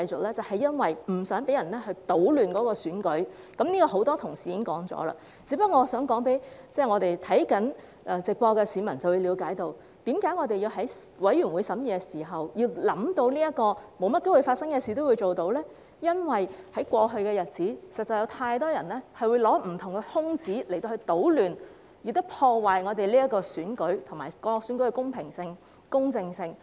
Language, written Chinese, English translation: Cantonese, 那是因為我們不想被人搗亂選舉，很多同事已指出這一點，我想讓正在收看直播的市民了解，我們在法案委員會審議時，要考慮發生機會不大的情況，是因為在過去的日子裏，實在有太多人利用不同的空子搗亂，破壞各項選舉的公平性和公正性。, It is because we do not want anyone to disturb the election as many colleagues have pointed out . I want to let the public watching the live broadcast understand this . We have to take unlikely situations into consideration during the scrutiny by the Bills Committee because there have been too many instances of taking advantage of the loopholes to cause disturbances and undermine the fairness and justice of elections